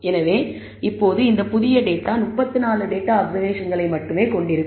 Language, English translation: Tamil, So, now, this new data will contain only 34 data observations, because we have already removed one observation